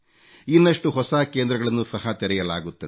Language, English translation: Kannada, More such centres are being opened